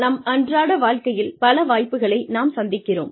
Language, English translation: Tamil, We come across, so many opportunities in our daily lives